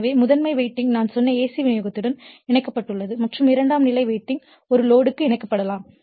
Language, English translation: Tamil, So, primary winding is connected to AC supply I told you and secondary winding may be connected to a load